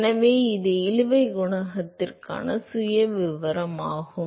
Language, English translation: Tamil, So, that is the profile for drag coefficient